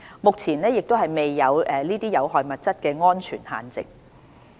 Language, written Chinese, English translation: Cantonese, 目前亦未有這些有害物質的安全限值。, At present there is also no safe level of exposure to these harmful substances